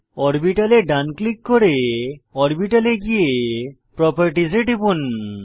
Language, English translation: Bengali, Right click on the orbital, select Orbital then click on Properties